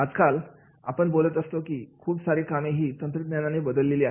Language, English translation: Marathi, Now we are talking about that is many jobs are replaced by the technology